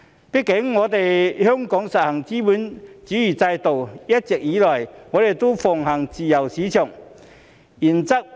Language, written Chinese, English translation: Cantonese, 畢竟香港實行資本主義制度，一直以來奉行自由市場原則。, After all Hong Kong is under a capitalist system and has been adhering to the free market principle